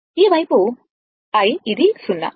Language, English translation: Telugu, This is your i side this is 0